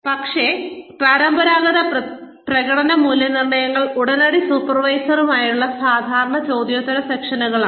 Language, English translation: Malayalam, But, traditional performance appraisals are, usual question and answer, sessions, with the immediate supervisor